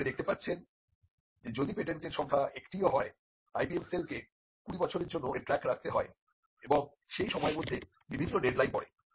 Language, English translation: Bengali, So, you can see that, even if it is one patent the IPM cell needs to keep track of it for 20 years and there are different deadlines that falls in between